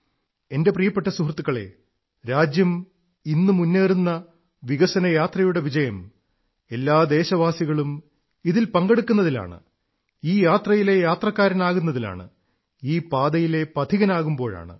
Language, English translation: Malayalam, My dear countrymen, the country is on the path of progress on which it has embarked upon and this journey will only be comfortable if each and every citizen is a stakeholder in this process and traveller in this journey